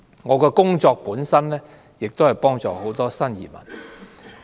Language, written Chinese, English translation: Cantonese, 我的工作本身是幫助新移民。, I became their immigrant and my work was to help new immigrants